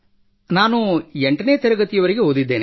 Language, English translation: Kannada, I have studied up to class 8th